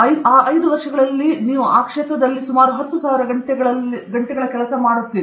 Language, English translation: Kannada, So, in 5 years you would have put in some 10,000 hours in that field